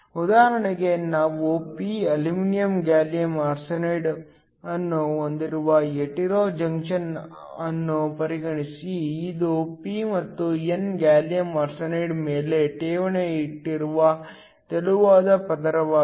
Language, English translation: Kannada, For example, consider a hetero junction where we have p aluminum gallium arsenide which is a thin layer that is deposited on top of p and n gallium arsenide